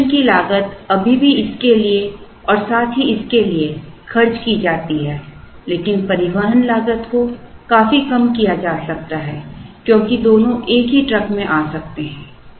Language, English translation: Hindi, The inspection costs still have to incurred for this as well as this but the transportation cost can be significantly reduced because both can come in same truck